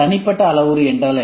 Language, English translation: Tamil, What is the individual parameter